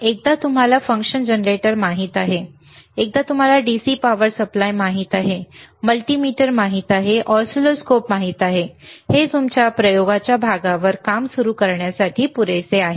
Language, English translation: Marathi, So, once you know function generator, once you know DC power supply, once you know multimeter, once you know oscilloscope, once you know variable actually that is more than enough for you to start working on the experiment part, all right